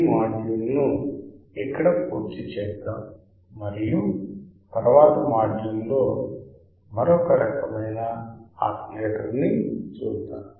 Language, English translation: Telugu, Let us complete this module here and we will see in the next module the another kind of oscillator